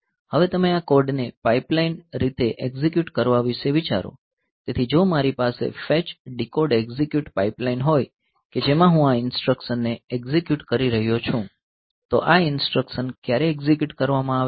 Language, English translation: Gujarati, Now, you think about executing this code in a pipelined fashion so, even if I have a fetch, decode, execute pipeline fetch, decode, execute pipeline in which I am executing it so, when this instruction is executed so, when this instruction is being executed